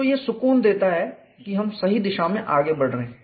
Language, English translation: Hindi, So, this gives a comfort that we are preceding in the right direction